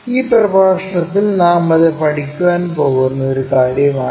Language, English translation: Malayalam, That is a thing what we are going to learn it in this lecture